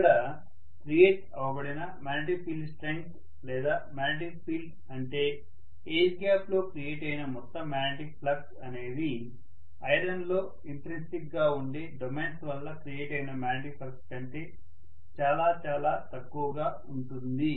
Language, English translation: Telugu, Whereas, the magnetic field strength that is created or the magnetic field you know the overall magnetic flux that is created in the air is much less as compared to what is the flux that is created due to the domains that are intrinsically existing in iron